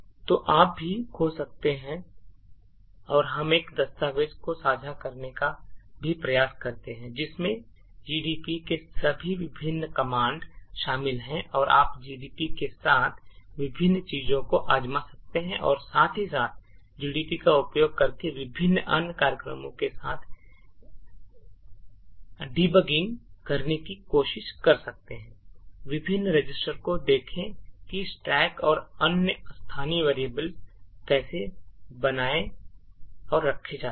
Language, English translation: Hindi, So you could also search and we will also try to share a document which comprises of all the various commands the gdb has and you can actually try various things with gdb and also try to do such debugging with various other programs using gdb, look at the various registers and see how the stack and other local variables are maintained, thank you